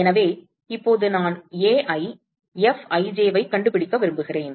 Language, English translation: Tamil, So, now I want to find Ai Fij